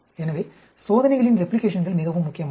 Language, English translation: Tamil, So, replication of experiments is extremely crucial